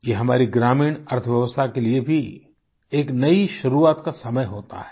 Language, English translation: Hindi, It is also the time of a new beginning for our rural economy